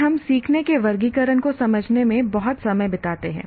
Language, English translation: Hindi, Then we spend a lot of time in understanding the taxonomy of learning